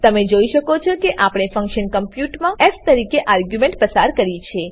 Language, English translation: Gujarati, You can see that we have passed the argument as f in function compute